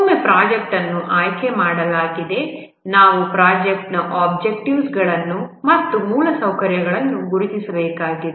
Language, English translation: Kannada, Once the project has been selected, we need to identify the project objectives and the infrastructures